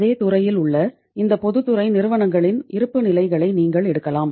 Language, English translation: Tamil, You can pick up the balance sheets of this public sector companies in same sector